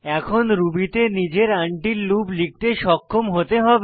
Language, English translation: Bengali, You should now be able to write your own until loop in Ruby